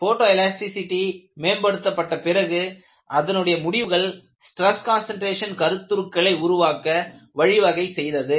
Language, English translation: Tamil, Only in those days, photoelasticity got developed and the results from photoelasticity were very useful to establish the concept of stress concentration